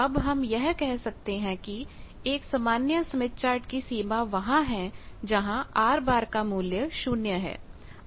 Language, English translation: Hindi, From this we can say that in a standard smith chart which is smith chart where this R bar is equal to 0 is the boundary